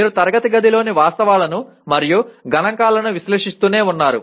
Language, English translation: Telugu, That you are just keep on analyzing facts and figures in the classroom